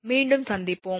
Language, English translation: Tamil, So, we will be back soon